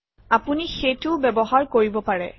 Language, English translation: Assamese, You can use that as well